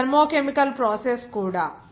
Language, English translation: Telugu, This also the thermo chemical process